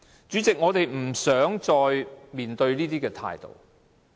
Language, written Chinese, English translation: Cantonese, 主席，我們已經不想再面對這種態度。, President we no longer want to face this attitude